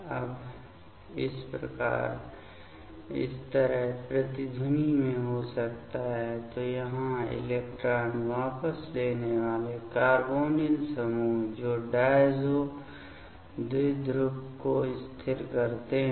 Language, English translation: Hindi, Now, this could be in resonance like this; so here electron withdrawing carbonyl groups that stabilizes the diazo dipole